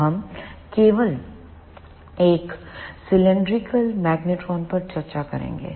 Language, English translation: Hindi, So, we will discuss only this one cylindrical magnetron